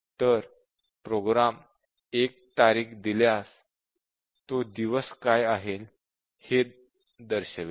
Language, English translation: Marathi, So, the program computes given a date it would display what is the day